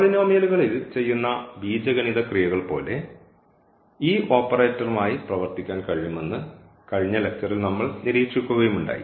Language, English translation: Malayalam, And we have also observed in the last lecture that we can work with these operators D as the algebraic operations we do with the polynomials